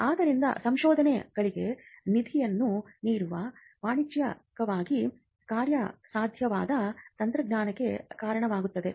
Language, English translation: Kannada, So, giving fund for research it need not in all cases result in commercially viable technology